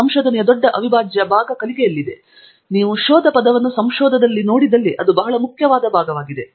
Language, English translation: Kannada, Big integral part of research is learning; that is a very important part in fact you see the term search in research so you have to search and discover